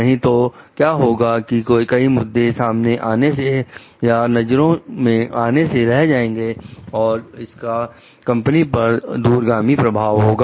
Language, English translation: Hindi, Otherwise, what happens many issues which will remain like or noticed which may have a long term implication on the company